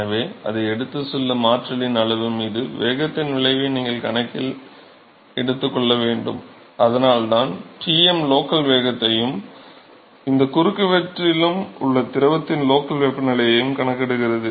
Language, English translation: Tamil, So, therefore, you have to take into account the effect of the velocity on the amount of energy that is carried, and that is why Tm will account for the local velocity, and also the local temperature in the fluid at any cross section